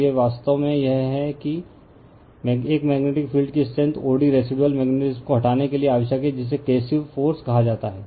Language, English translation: Hindi, So, this is this is actually this one that magnetic field strength o d required to remove the residual magnetism is called the coercive force right